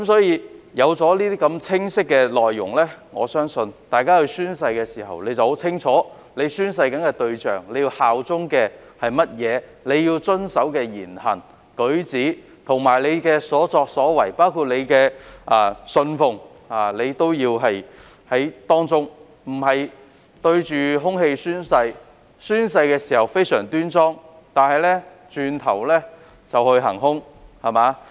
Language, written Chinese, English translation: Cantonese, 有了這些清晰的內容，我相信大家宣誓時會很清楚宣誓的對象、要效忠的是甚麼、要遵守的言行、舉止、所作所為，以及所信奉的是甚麼，而不是對着空氣宣誓，亦不會只在宣誓時非常端莊，但轉頭便去"行兇"。, With such clear content I believe people will know very clearly to whom the oath is made to what must they bear allegiance the words and deeds manner and actions with which they must comply as well as what they must embrace in the oath - taking process . When they are taking oath they are not talking to a brick wall . Neither should they take the oath solemnly but do bad deeds immediately afterwards